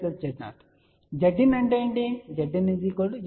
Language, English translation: Telugu, What is that mean